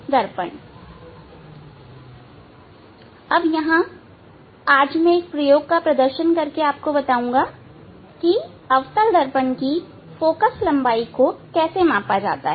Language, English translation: Hindi, Now, I will demonstrate one experiment here today this how to measure the focal length of a concave mirror of a concave mirror